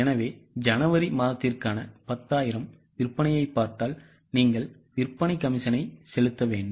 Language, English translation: Tamil, So, if you look at the sales which is 10,000 for January, you need to pay the sales commission